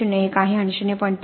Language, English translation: Marathi, 01 and at 0